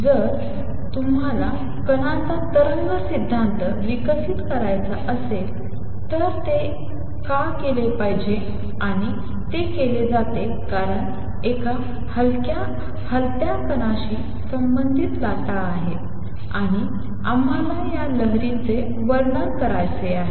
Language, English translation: Marathi, So, if you want to develop wave theory of particles why should it be done, and it is done because a moving particle has waves associated with it, and we want to describe this wave